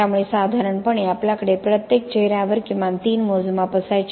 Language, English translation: Marathi, So normally we used to have the measurements like at least three measurements on each faces